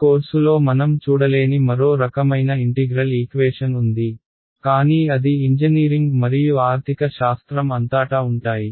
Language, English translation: Telugu, There is yet another kind of integral equation which we will not come across in this course, but they also occur throughout engineering and even economics